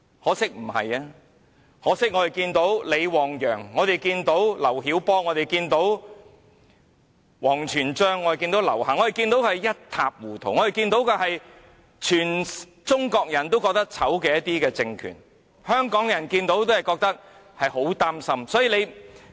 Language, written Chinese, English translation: Cantonese, 可惜不是，可惜我們看見李旺陽、劉曉波、王全璋、劉霞的遭遇，我們看見的是全中國人也覺得醜陋、一塌糊塗的政權，香港人看了也會很擔心。, Regrettably this is not the case . Regrettably having seen the bitter experiences of LI Wangyang LIU Xiaobo WANG Quanzhang and LIU Xia and Chinas political regime in an utter shambles Hong Kong people are worried